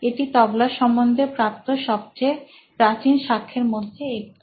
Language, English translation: Bengali, This is one of the earliest evidences found of the “Tabla”